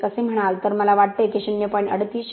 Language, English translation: Marathi, 1 I think it will be 0